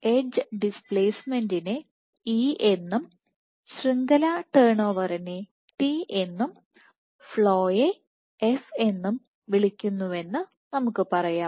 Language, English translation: Malayalam, So, let us say that we call the edge displacement as E the network turn over as T and the flow as F